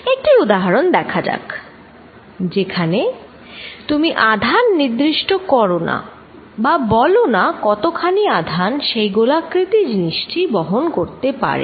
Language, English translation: Bengali, Let us look at an example, so where you do not specify the charge, how much charge the spherical body carries